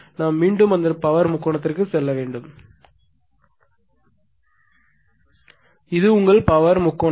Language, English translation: Tamil, This is your power triangle, this is your power triangle